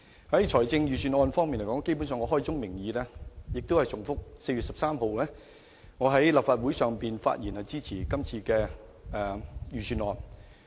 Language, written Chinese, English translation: Cantonese, 就財政預算案方面而言，基本上我開宗明義，仍是重複我在4月13日立法會會議上的發言，我支持今次的預算案。, Speaking of this Budget I must repeat at the very beginning what I said at the Legislative Council meeting on 13 April that is I support it